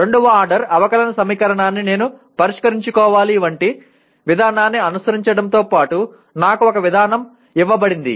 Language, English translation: Telugu, It also includes besides following a procedure like I have to solve a second order differential equation, I am given a procedure